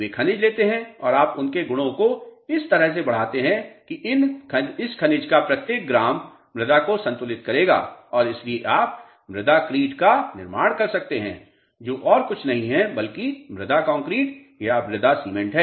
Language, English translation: Hindi, They would take minerals and you augment their properties in such a way that each gram of this mineral will equilibrate the soils and hence you can form a soil crete is nothing but the soil concrete or a soil cement